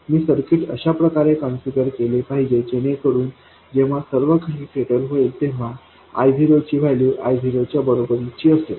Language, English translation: Marathi, I should configure the circuit so that finally when everything settles down this value of ID should become equal to I 0